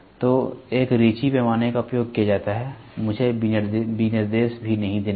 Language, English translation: Hindi, So, a riche scale riche a scale is used let me not even give the specification